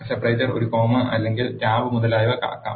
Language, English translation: Malayalam, The separator can also be a comma or a tab etcetera